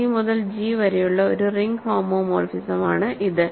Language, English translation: Malayalam, It is a ring homomorphism from G to G